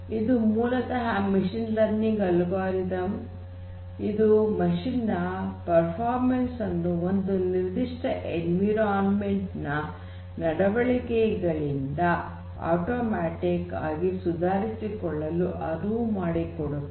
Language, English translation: Kannada, So, it is basically a machine learning algorithm which enables machines to improve its performance by automatically learning the ideal behaviors for a specific environment